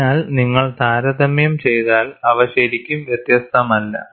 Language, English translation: Malayalam, So, if you compare, they are not really very different